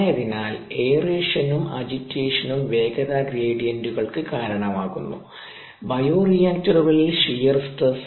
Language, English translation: Malayalam, so aeration and agitation cause velocity gradients and hence shear stress in bioreactors